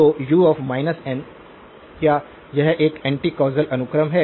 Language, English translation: Hindi, So, u of minus n, is it an anti causal sequence